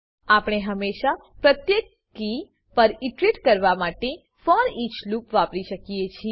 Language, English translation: Gujarati, We can use foreach loop to iterate over each key of hash